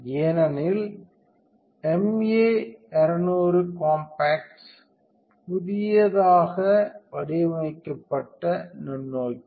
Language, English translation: Tamil, Because of the MA 200 compacts newly designed microscope